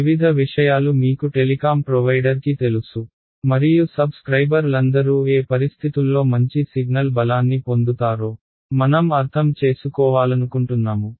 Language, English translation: Telugu, Various things maybe you know telecom provider and I want to understand under what conditions will all my subscribers get good signal strength that can be our requirement right